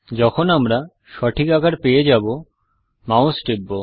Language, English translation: Bengali, When we get the right size, let us release the mouse button